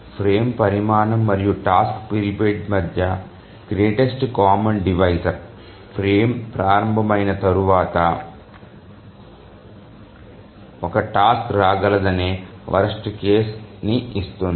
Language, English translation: Telugu, So the greatest common divisor between the frame size and the task period that gives the worst case situation of how much after the frame starts can a task arrive